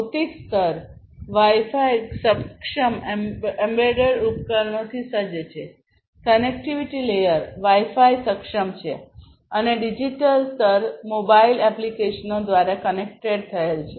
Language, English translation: Gujarati, Physical layer is equipped with Wi Fi enabled embedded devices, connectivity layer is Wi Fi enabled and the digital layer is connected through mobile applications